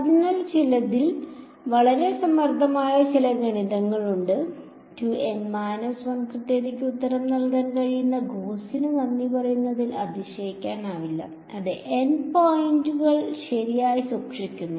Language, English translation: Malayalam, So, some there is some very very clever math, not surprisingly thanks to Gauss who is able to give you the answer to accuracy 2 N minus 1; keeping the same N points right